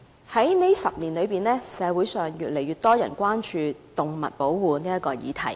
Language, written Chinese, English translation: Cantonese, 過去10年，社會上越來越多人關注保護動物這個議題。, In the past decade more and more people in the community have shown concern about the protection of animals